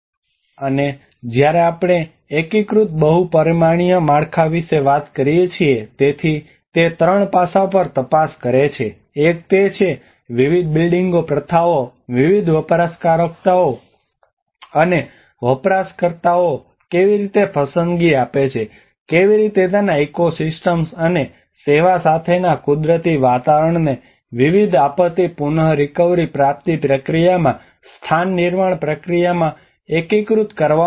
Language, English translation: Gujarati, And when we talk about an integrated multi dimensional framework, so it investigates on three aspects; one is how different building practices have offered choices to variety of users and users, how the natural environment with its ecosystems and services has been integrated in the place making process in different disaster recovery process